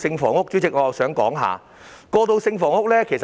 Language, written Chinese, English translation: Cantonese, 此外，我想談談過渡性房屋。, In addition I would like to talk about transitional housing